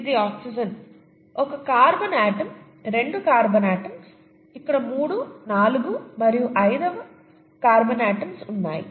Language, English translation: Telugu, This is an oxygen, one carbon atom, two carbon atoms, three, four and the fifth carbon atoms here, okay